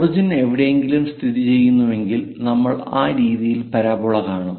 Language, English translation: Malayalam, If origin is somewhere located, then we will see parabola in that way